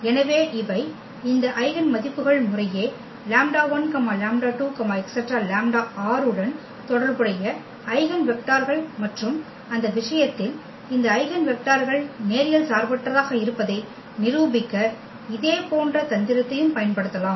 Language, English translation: Tamil, So, these are the eigenvectors corresponding to these eigenvalues lambda 1 lambda, 2 lambda respectively and in that case also we can use the similar trick to prove that these eigenvectors are linearly independent